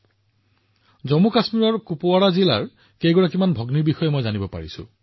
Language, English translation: Assamese, I have also come to know of many sisters from Kupawara district of JammuKashmir itself